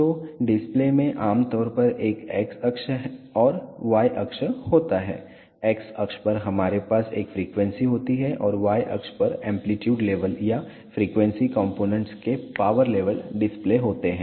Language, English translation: Hindi, So, the display typically has an x axis and the y axis, on the on the x axis we have a frequency and on the y axis the amplitude level or the power level of the frequency components are displayed